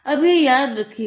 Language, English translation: Hindi, Now it will recall its memory